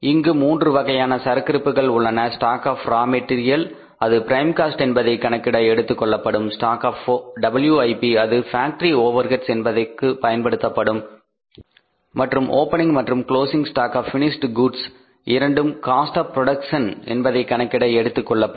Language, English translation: Tamil, Three stocks are here stock of raw material which will be treated in the prime cost, stock of WIP that will be treated in the factory cost and the stock of finished goods opening as well as closing that will be treated in the for calculating the cost of production